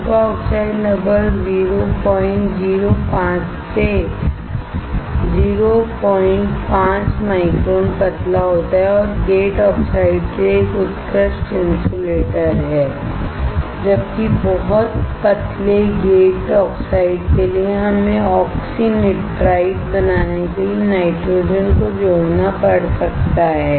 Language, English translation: Hindi, 5 micron thin and is an excellent insulator for gate oxides, while for very thin gate oxides, we may have to add the nitrogen to form oxynitrides